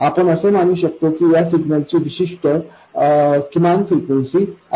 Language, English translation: Marathi, As before we assume that the signal frequency has some minimum value which is not zero